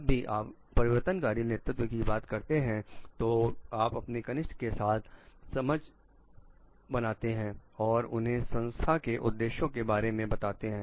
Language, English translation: Hindi, Whenever, you are talking of transformational leadership you are talking of like understanding along with your juniors and making them understand of the objectives of the organization also